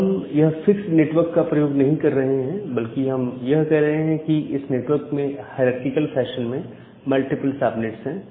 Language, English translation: Hindi, So, now we are not using this fixed networks rather we are saying that a network consist of multiple subnets in a hierarchical fashion